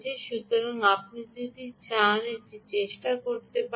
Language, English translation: Bengali, so you can try this if you wish